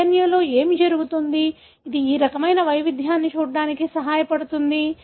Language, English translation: Telugu, What happens at the DNA, which help in seeing this kind of variation